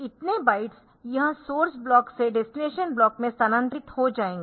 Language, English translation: Hindi, So, many bytes it will transfer from the source block to the destination block